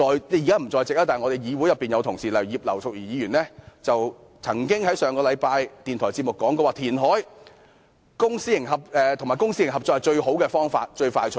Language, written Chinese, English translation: Cantonese, 然而，一些議員同事，例如葉劉淑儀議員——她現在不在席——上星期曾在電台節目說填海及公私營合作是最好、最快捷的方法。, Nevertheless some Honourable colleagues such as Mrs Regina IP―she is not present now―said in a radio programme last week that reclamation and public - private partnership are the best and quickest ways